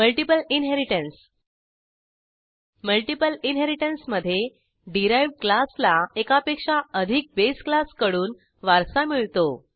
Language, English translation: Marathi, Multiple inheritance In multiple inheritance, derived class inherits from more than one base class